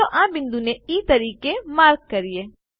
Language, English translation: Gujarati, Lets mark this point as E